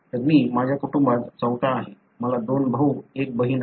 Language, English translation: Marathi, So, I am fourth in my family; I have two brothers, one sister